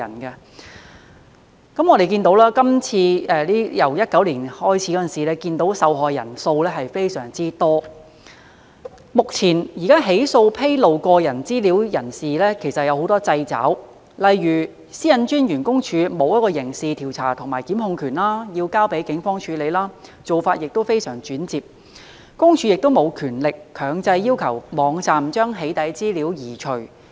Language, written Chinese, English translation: Cantonese, 由2019年開始，我們看見受害人數非常多，目前起訴披露個人資料的人士時其實有很多掣肘，例如私隱公署沒有刑事調查權和檢控權，須交警方處理，做法非常轉折，私隱公署亦沒有權力強制要求網站將"起底"資料移除。, As we can see many people have fallen victim ever since 2019 . At present prosecution against those who divulge others personal data has actually come under many constraints . One example is PCPDs lack of criminal investigation and prosecution powers and all such work must be entrusted to the Police